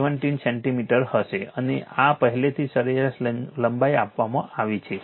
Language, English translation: Gujarati, 5 that is equal to 17 centimeter right and this is already mean length is given